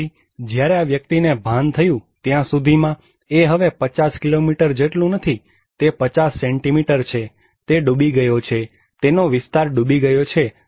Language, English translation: Gujarati, Then, by the time this person realized, it is no more the 50 kilometre, it is 50 centimetre, he is inundated, his area is inundated